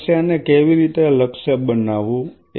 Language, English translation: Gujarati, So, how to target the problem